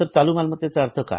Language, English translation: Marathi, What are the current assets